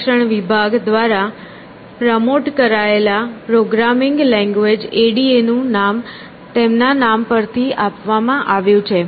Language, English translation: Gujarati, And, the programming language ADA that you might have heard about, promoted by the US department of defense, is named after her